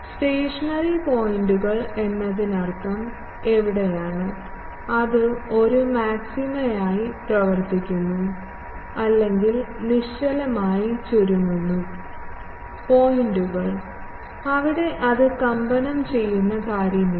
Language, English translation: Malayalam, Stationary points means where the, that function as a maxima or minima those stationary points, there it is not an oscillating thing